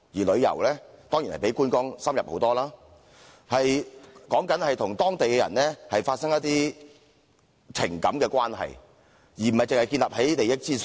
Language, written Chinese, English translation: Cantonese, 旅遊當然比觀光深入得多，旅客與當地人發生一些情感關係，而不是僅建立於利益之上。, Tourism is certainly more sophisticated than sightseeing in the sense that visitors develop a relationship of affection with local residents rather than a pecuniary relationship